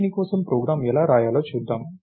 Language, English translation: Telugu, Lets see how to write the program for this